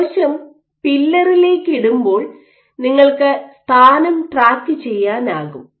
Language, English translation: Malayalam, So, when you put the cell you can track the position